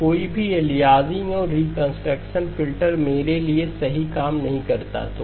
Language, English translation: Hindi, So no aliasing and the reconstruction filter does the perfect job for me